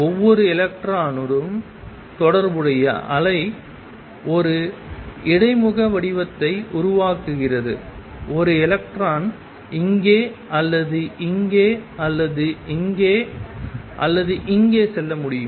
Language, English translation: Tamil, And it is the wave associated with each electron that form a interface pattern is just that one electron can go either here or here or here or here